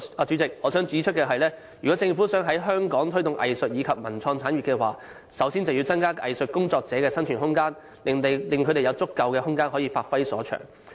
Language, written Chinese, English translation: Cantonese, 主席，我想指出，如果政府想在香港推動藝術及文化及創意產業，首先便要增加藝術工作者的生存空間，讓他們有足夠空間發揮所長。, President I wish to point out that if the Government wants to promote the cultural and creative industry it should first enhance the viability of arts practitioners so that they can have adequate room to give full play to their abilities